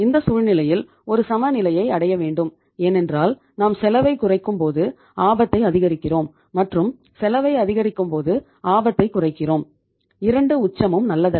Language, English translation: Tamil, So ultimately, we will have to have a trade off because if you are minimizing the cost you are maximizing the risk and if you are minimizing say maximizing the cost you are minimizing the risk and both the extremes are not good